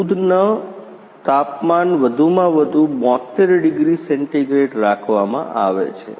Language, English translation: Gujarati, Temperature of a milk is maximum is 72 degree centigrade